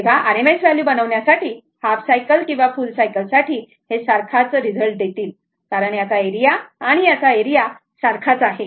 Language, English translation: Marathi, So, if for making your RMS value, half cycle or full cycle it will give the same result because area of this one and area of this one is same